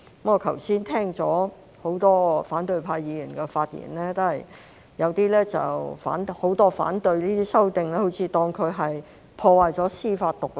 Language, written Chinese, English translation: Cantonese, 我剛才聽到很多反對派議員的發言，大多數反對這些修訂，好像當成這樣會破壞司法獨立。, Just now I have heard the speeches delivered by Members from the opposition camp and they mostly oppose the amendments as if the amendments would undermine judicial independence